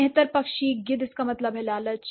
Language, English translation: Hindi, Scavenger bird, a vulture, that means greed